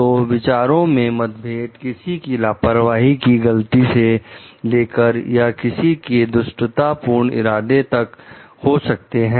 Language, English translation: Hindi, So, there could be differences in opinions from like mistakes from someone s negligence or for more like from really from evil intent also